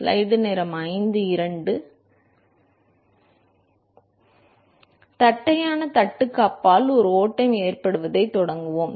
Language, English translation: Tamil, So, let us start with a case of a flow past flat plate